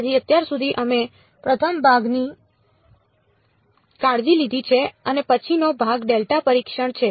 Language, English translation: Gujarati, So, far so, we have taken care of the first part the next part is delta testing